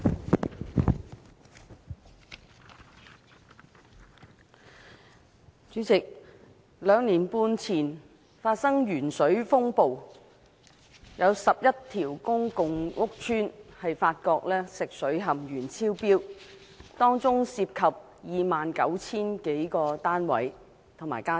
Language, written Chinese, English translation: Cantonese, 代理主席，兩年半前發生鉛水風暴，有11個公共屋邨發現食水含鉛超標，當中涉及 29,000 多個單位和家庭。, Deputy President the lead - in - water storm occurred two and a half years ago when excess lead contents were found in drinking water of more than 29 000 households in 11 public rental housing PRH estates